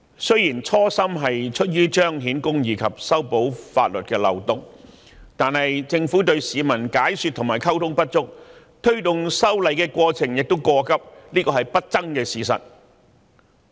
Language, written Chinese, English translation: Cantonese, 雖然修例的初心是出於彰顯公義及修補法律漏洞，但政府對市民解說和溝通不足，推動修例的過程亦過急，這是不爭的事實。, Although the original intent of the proposed amendments was to uphold justice and plug a loophole in law the Government did not explain to and communicate with the citizens well . The amendment exercise was also conducted too hastily . This is an indisputable fact